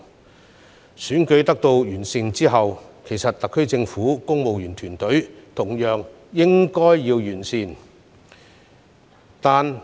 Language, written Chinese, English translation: Cantonese, 在選舉制度得以完善後，特區政府的公務員團隊同樣應該完善。, Following an improvement of the electoral system the civil service of the SAR Government should also be enhanced